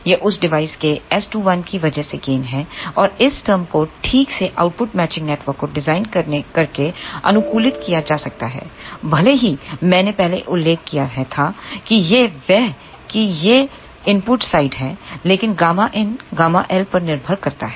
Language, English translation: Hindi, This is the gain because of that device S 2 1and this term can be optimized by properly designing output matching network, even though as I mentioned earlier this is this input side, but gamma in depends upon gamma L